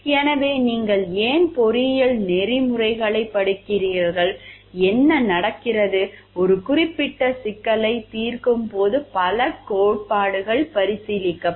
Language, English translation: Tamil, So, why you are studying engineering ethics what is happening there are several theories which will be considered while solving one particular problem